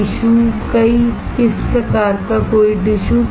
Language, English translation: Hindi, Tissue, which kind of tissue any tissue